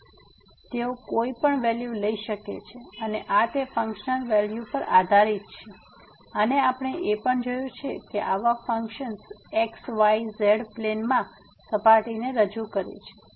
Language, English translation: Gujarati, So, they can take any values and this that depends on the value of the I mean this functional value here and we have also seen that such functions represent surface in the xyz plane